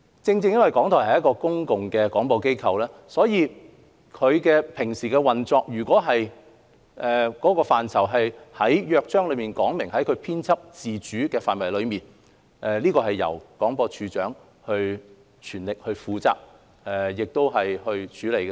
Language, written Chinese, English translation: Cantonese, 正正因為港台是一間公共廣播機構，其日常運作若屬於《港台約章》所述編輯自主的範圍，便由廣播處長全權負責和處理。, It is precisely because RTHK is a public service broadcaster that the Director of Broadcasting takes on the sole responsibility to handle its daily operation that falls within its scope of editorial independence under the Charter